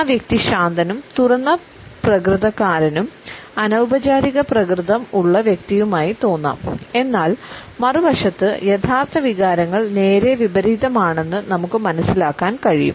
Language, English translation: Malayalam, We normally may feel that the person is looking as a relaxed open an informal one, on the other hand we feel that the actual emotions are just the opposite